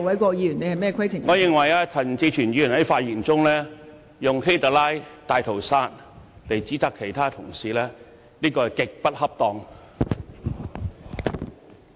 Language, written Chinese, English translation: Cantonese, 我認為陳志全議員在發言時以"希特拉"和"大屠殺"指責其他議員，言詞極不恰當。, I think the language in the speech of Mr CHAN Chi - chuen is grossly inappropriate as he cited HITLER and the Holocaust when criticizing other Members